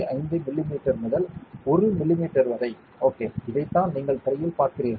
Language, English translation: Tamil, 5 mm by 1 mm ok, which is what you are seeing in the screen